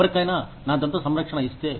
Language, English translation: Telugu, If somebody is given dental care